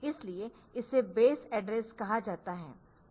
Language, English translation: Hindi, So, that can be used for the base addressing mode